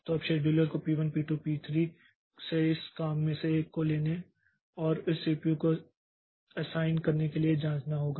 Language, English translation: Hindi, So, now the scheduler has to be invoked to check with to take one of these jobs from P1, P2, P3 and assign it to the CPU